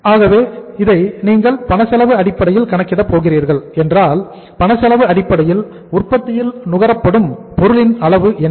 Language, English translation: Tamil, So if you are going to calculate this on the cash cost basis, manufacturing cost on the basis of the cash cost basis so what is the material consumed